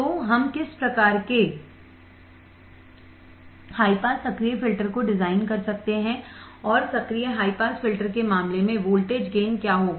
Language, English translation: Hindi, So, what kind of high pass active filter we can design and what will be the voltage gain in case of active high pass filters